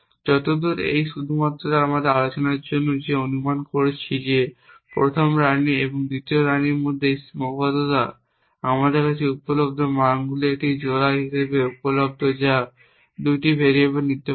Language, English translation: Bengali, As far as it is only for our discussion that we are assuming that this constraint between the first queen and the second queen i e expressed available to us as a pair of values that is 2 variables can take